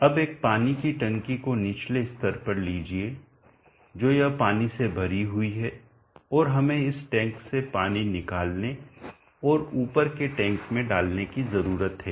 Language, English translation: Hindi, Now consider a water tank at a lower level, so it is filled with water and we need to lift water out of this tank and put it over a tank